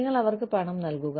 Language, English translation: Malayalam, You give them cash